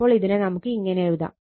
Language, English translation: Malayalam, So, this we can write